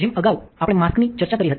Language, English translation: Gujarati, As we discussed earlier the mask